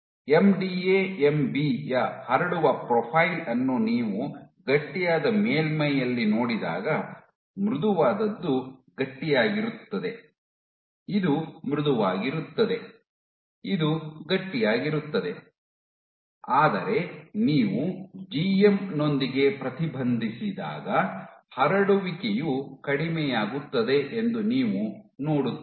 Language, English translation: Kannada, So, when you look at the spreading profile of MDA MB on a stiff surface, soft to stiff there is an increase this is soft this is stiff, but when you inhibit GM you are spreading drops